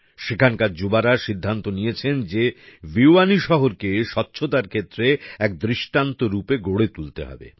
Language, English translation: Bengali, The youth here decided that Bhiwani city has to be made exemplary in terms of cleanliness